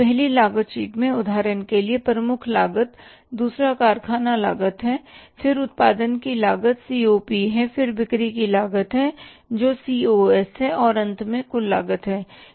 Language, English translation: Hindi, First is the prime cost, factory cost then is the cost of production COP then is the cost of sale that is the COS and finally the total cost